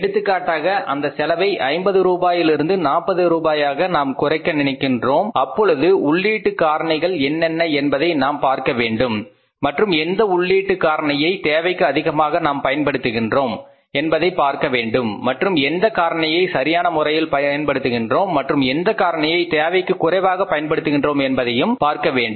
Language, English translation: Tamil, For example if we want to minimize this cost, the cost of this spend for 50 rupees to 40 rupees we have to look for that what are the input factors and which input factor is we are using more than required and which we are using optimally or which we are using less than